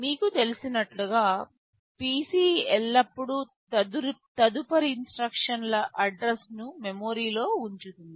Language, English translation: Telugu, As you know PC always holds the address of the next instruction in memory to be executed right